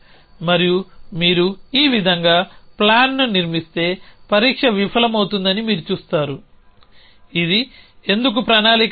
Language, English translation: Telugu, And you will see that if you construct the plan like this test will fail that it will say the, this is not a plan why because